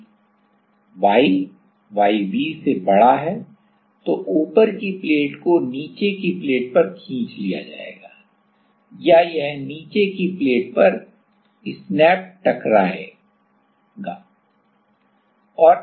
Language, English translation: Hindi, If y is greater than yb, then the top plate will be pulled in on the bottom plate or it will snap on the bottom plate